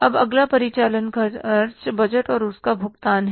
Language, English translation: Hindi, Now the next is the operating expenses budget and their payments